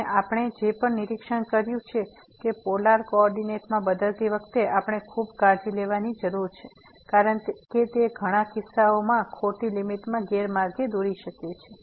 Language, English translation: Gujarati, And what we have also observed that we need to be very careful while changing to polar coordinate, because that may mislead to some wrong limit in min many cases